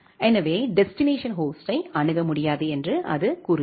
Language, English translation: Tamil, So, it says that the destination host is unreachable